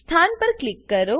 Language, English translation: Gujarati, Click on the position